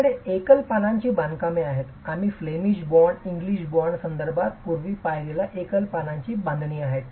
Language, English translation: Marathi, You have single leaf constructions, what we saw earlier in terms of the Flemish bond and the English bond are single leaf constructions